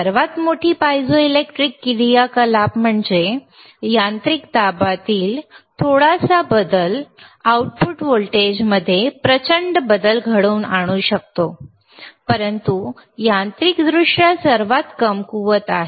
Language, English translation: Marathi, So, this is tThe greatest piezoelectric activity; that means, that a small change in mechanical pressure can cause a huge change in output voltage, but is mechanically weakest